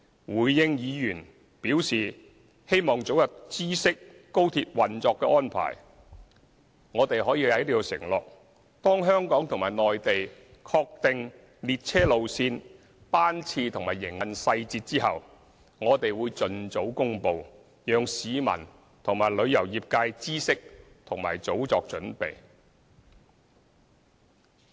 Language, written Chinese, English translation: Cantonese, 回應議員表示希望早日知悉廣深港高鐵運作的安排，我們可以在此承諾，當香港和內地確定列車路線、班次和營運細節後，我們會盡早公布，讓市民和旅遊業界知悉和早作準備。, In response to Members requests for the provision of information concerning the operational arrangements for XRL as early as possible I can make an undertaking here that we will expeditiously announce the train routes train frequency and operational details once they have been finalized by Hong Kong and the Mainland so as to inform members of the public and the tourism sector as well as allow early preparation